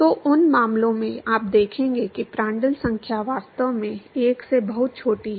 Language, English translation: Hindi, So, in those cases, you will see that the Prandtl number is actually much smaller than 1